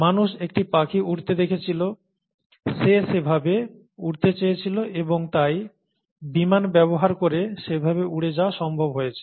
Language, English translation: Bengali, Man saw a bird flying, he or she wanted to fly that way, and therefore made it possible to fly that way using airplanes